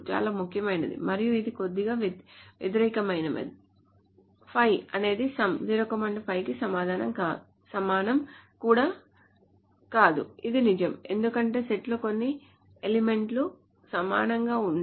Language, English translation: Telugu, Very importantly, and this is a little counterintuitive, 5 not equal to some 05 is also true because there is some element in the set that is not equal to 5